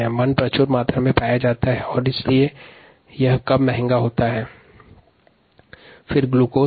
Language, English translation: Hindi, starch is found in abundance and therefore it is less expensive